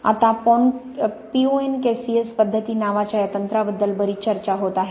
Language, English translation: Marathi, Now there is a lot of discussion about this technique called the PONKCS method